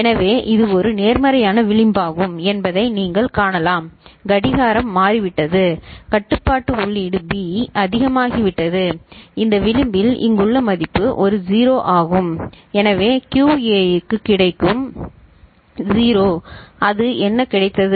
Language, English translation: Tamil, So, you can see this is one positive edge right and when after you know clock has become, control input B has become high and at the time at this edge the value over here is 0 for A ok, so QA will get 0 that is what it has got